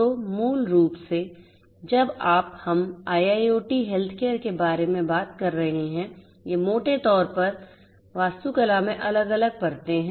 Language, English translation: Hindi, So, basically you know when you are we are talking about IIoT healthcare, these are broadly the different layers in the architecture